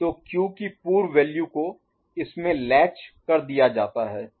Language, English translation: Hindi, So, the prior value of Q it is latched into, ok